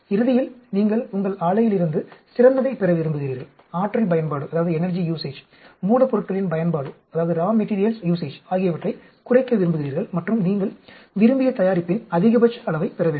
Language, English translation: Tamil, Ultimately, you want to get the best out of your plant, you want to minimize the energy usage, raw materials usage and get maximum amount of your desired product